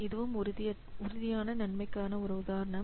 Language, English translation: Tamil, So this is an example of tangible benefits